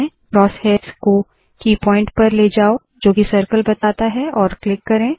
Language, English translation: Hindi, Move the cross hairs to a key point that indicates the circle and click